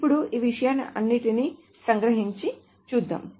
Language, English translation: Telugu, Now to summarize all of these things, so let us see